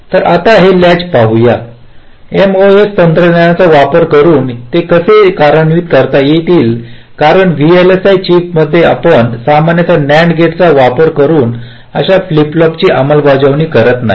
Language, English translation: Marathi, so now let us see, ah these latches, how they can be implemented using mos technology, because in v l s i chips we normally do not implement flip flops like this using nand gates